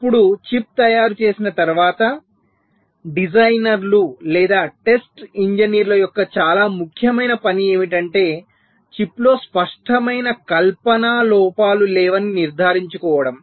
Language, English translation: Telugu, one very important task of the designers, or you can say the text engineers, was to ensure that the chip does not contain any apparent fabrication defects